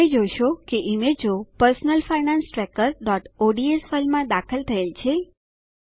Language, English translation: Gujarati, We already have an image in our Personal Finance Tracker.ods file